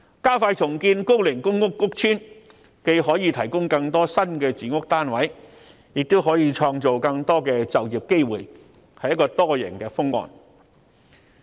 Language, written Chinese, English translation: Cantonese, 加快重建高齡公屋屋邨，既可提供更多新的住屋單位，亦可創造更多就業機會，確是多贏的方案。, Expediting the redevelopment of old housing estates is a multiple - win solution that will boost housing supply and create employment opportunities